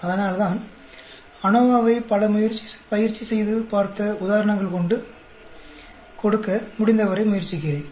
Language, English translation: Tamil, That is why I am trying to give as many worked out examples as possible with ANOVA